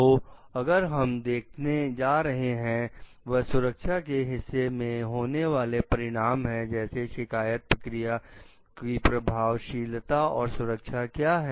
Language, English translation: Hindi, So, next what we are going to see like the consequence is the safety part like what is the effectiveness and the safety of the complaint procedures